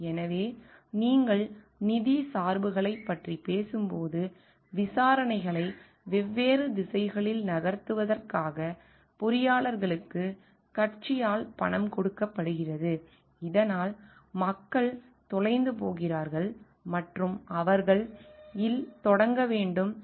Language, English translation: Tamil, So, when you are talking of financial biases, engineers are paid by the party to at fault to move the investigations in a different directions so that the people get lost and they have to start at and may be the discussion does not get completed